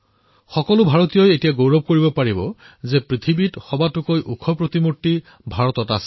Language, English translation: Assamese, Every Indian will now be proud to see the world's tallest statue here on Indian soil